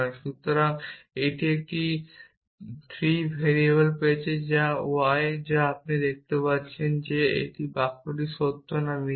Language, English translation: Bengali, Because it has got a 3 variable which is y and you can see that we cannot say whether this sentence is true or false